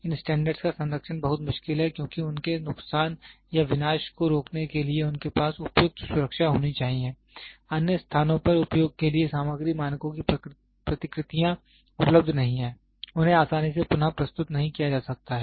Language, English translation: Hindi, The preservation of these standards is very difficult because they must have the appropriate security to prevent their damage or destruction, replicas of the material standards are not available for use at other places, they cannot be easily reproduced